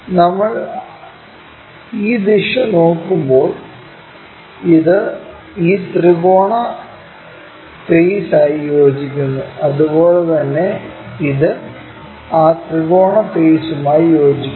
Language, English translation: Malayalam, This one when we are looking this direction coincides with this triangular face, similarly this one coincides with that triangular face